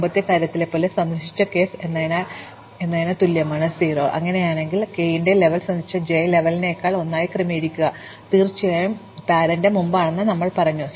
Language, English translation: Malayalam, Same as in our earlier thing, same as visited k is 0 and if so we adjust the level of k to be one more than the level of j from which it was visited and of course, we set the parent as before